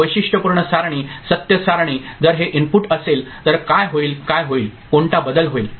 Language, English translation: Marathi, Characteristic table, truth table if this input is there what will happen what will what change will occur